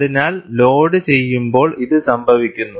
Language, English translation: Malayalam, So, this happens during loading